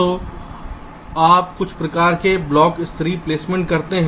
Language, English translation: Hindi, so you do some kind of block level placement